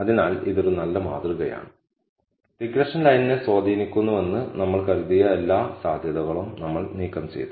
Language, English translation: Malayalam, So, this is a pretty good model and we have removed all the possible outliers that we thought were influencing the regression line